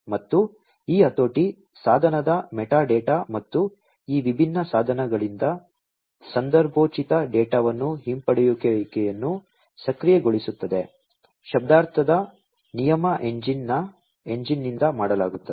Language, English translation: Kannada, And this leveraging, the device metadata and enabling the retrieval of contextual data from these different devices, will be done by the semantic rule engine